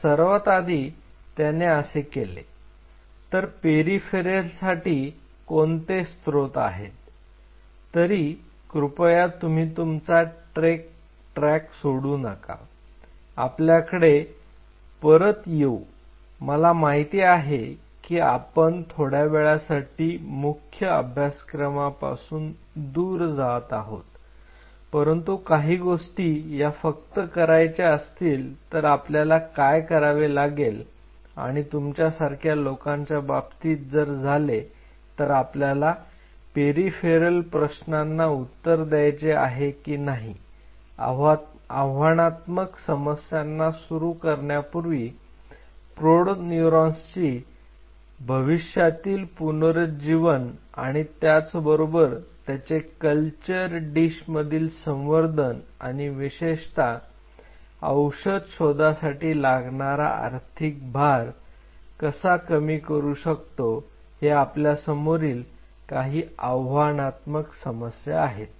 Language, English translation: Marathi, So, the first thing what he did, so for peripheral neurons what are the sources and please do not lose track that we have to come back I am just diverting from the main course in order to come back there with a much more concrete viewpoints about you people that why we have to answer these kind of peripheral question before we target on to some of the very challenging problems of the future regeneration of the adult neurons and in a culture dish how we especially in a culture dish how we can minimize the financial burden of drug discovery